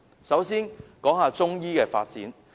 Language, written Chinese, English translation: Cantonese, 首先，是關於中醫的發展。, The first issue concerns the development of Chinese medicine